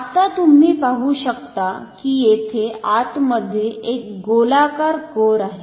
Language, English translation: Marathi, Now, you can see that there is a circular core here inside